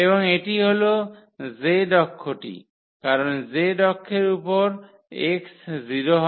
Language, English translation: Bengali, And this is exactly the z axis because on the z axis the x is 0 and y is 0